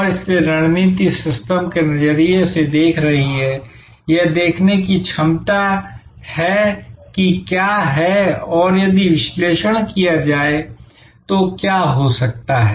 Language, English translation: Hindi, And strategy therefore, is seeing from a systems perspective, the ability to see what is and what could be by analyzing what if's and then make choices